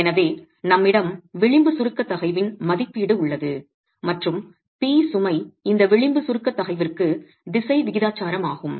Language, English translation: Tamil, So, we have an estimate of the edge compressive stress and p the load is directly proportional to this edge compressive stress